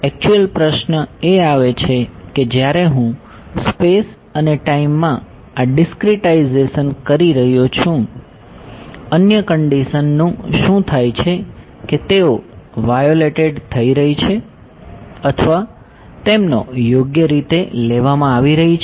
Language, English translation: Gujarati, So, the actual question comes is when I am doing this discretization in space and time, what happens to the other conditions are they beings violated or are they being respected right